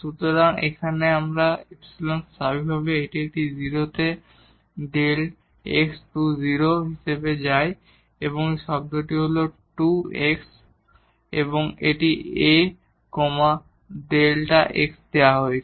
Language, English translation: Bengali, So, here this epsilon naturally it goes to a 0 as delta x goes to 0 here this term 2 x is A, the delta x is given